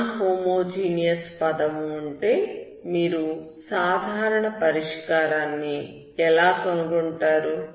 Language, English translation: Telugu, If the non homogeneous term is there, how do you find the general solution